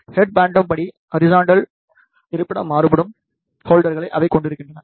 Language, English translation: Tamil, They, contains the holders where the horizontal location can be varied, according to the head phantom